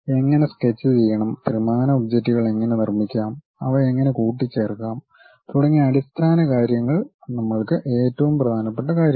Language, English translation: Malayalam, The basic things like how to sketch, how to make 3D objects, how to assemble made them is the most important thing for us